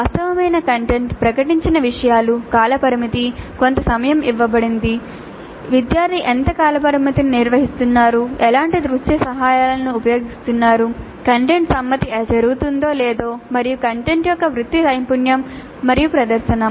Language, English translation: Telugu, And then the actual content itself, the topics announced the timeframe given certain amount of time to what extent the timeframe is being maintained by the student, then what kind of visual aids are being used, then whether the content compliance is happening and professionalism of content and presentation